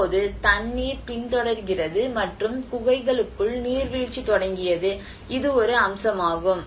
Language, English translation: Tamil, Now, things are the water is following and the seepage has started within the caves and this is one aspect